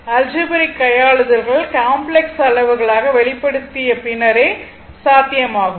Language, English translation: Tamil, So, algebraic manipulations are possible only after expressing them as complex quantities right